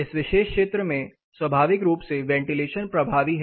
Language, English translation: Hindi, This particular zone naturally ventilation is effective